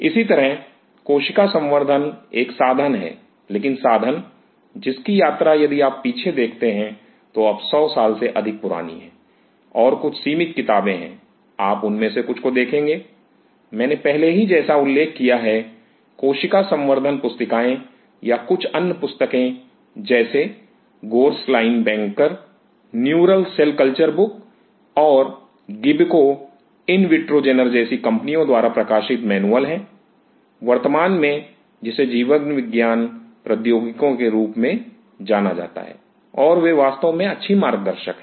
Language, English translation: Hindi, Similarly cell culture is a tool, but tool whose journey if you look back is now more than 100 years old and there are handful of books, you will come across and some of them; I have already mentioned like tissue cultured book or few other books like gorsline bankers, neural cell culture book and there are manuals published by companies like Gibco Invitrogenor; currently which is known as life science technologies and they are really nice guide